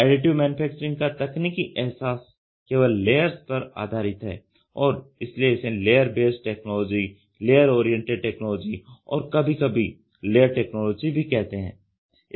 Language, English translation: Hindi, The technical realization of Additive Manufacturing is based solely on layers and therefore, it is called as layer based technology or layer oriented technology or even layer technology